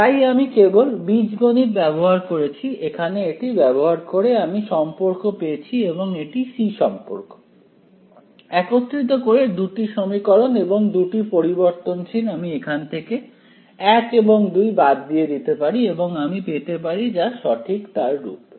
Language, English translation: Bengali, So, I have just done the algebra over here using the I had these I had this relation also over here relation c, I put it together with this relation d two equations and two variables I can eliminate a one a two and get it from here in terms of what is given right